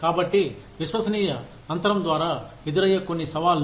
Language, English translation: Telugu, Some challenges, that are posed by the trust gap